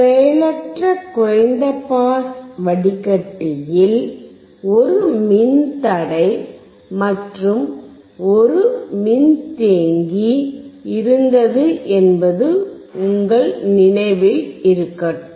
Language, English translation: Tamil, And if you remember the low pass passive filter had a resistor, and a capacitor